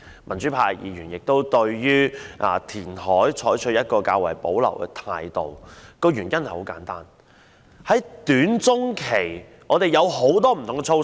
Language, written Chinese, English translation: Cantonese, 民主派議員對於填海採取較為保留的態度，原因很簡單，在短中期方面，我們已提出很多不同的措施。, Pro - democracy Members have reservations about the reclamation proposal simply because we have already put forward a number of measures for the short - to - medium term